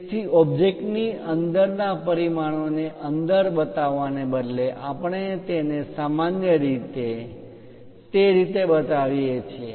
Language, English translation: Gujarati, So, instead of showing within the dimensions within the object we usually show it in that way